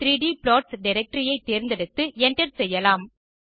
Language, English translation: Tamil, Then we will select the 2d 3d plots directory and hit enter